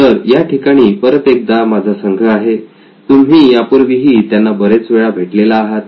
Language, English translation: Marathi, So here is my team again, you met them before many, many times